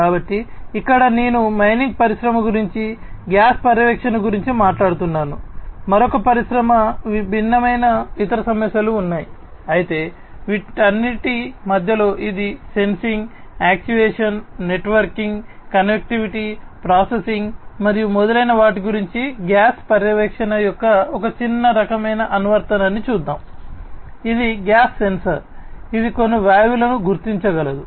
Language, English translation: Telugu, So, here I am talking about mining industry, gas monitoring and so on for another industry there are different other issues, but at the core of all of these it is about sensing, actuation, networking, connectivity, processing and so on